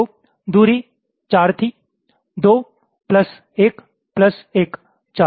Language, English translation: Hindi, two plus one plus one, four